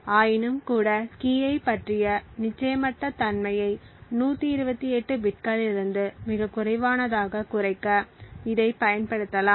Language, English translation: Tamil, Nevertheless it can still be used to reduce the uncertainty about the key from 128 bits to something much more lower